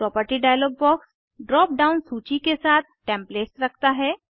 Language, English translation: Hindi, Property dialog box contains Templates with a drop down list